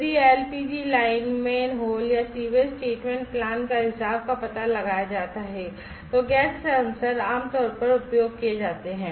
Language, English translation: Hindi, If leakage detection of LPG pipes, manhole or sewage treatments plans, gas sensors are commonly used